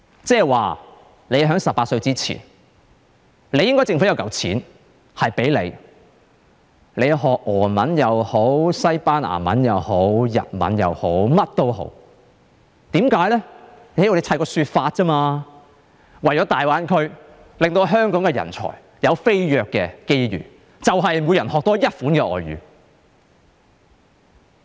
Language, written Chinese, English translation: Cantonese, 即是說，在18歲前，政府應該提供一筆錢，讓他們學習俄文也好、西班牙文也好、日文也好，甚麼也好，只要堆砌一個說法便可以了，就說是為了大灣區，令香港人才有飛躍的機遇，就是透過每人多學一種外語。, In other words the Government should set aside a sum of money for people to learn before the age of 18 Russian Spanish Japanese or whatever foreign languages . The Government only needs to make up a reason say for the sake of giving Hong Kong people an opportunity to excel in the Greater Bay Area; and it is by means of each person learning a foreign language